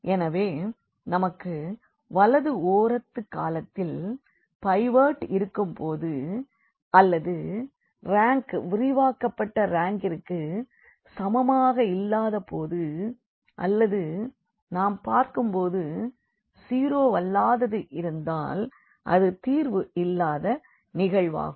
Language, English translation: Tamil, So, we have either the rightmost pivot has rightmost column has a pivot or we call rank a is not equal to the rank of the augmented matrix or we call simply by looking at this that if this is nonzero then we have a case of no solution, clear